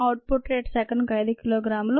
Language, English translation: Telugu, rate of output is five kilogram per second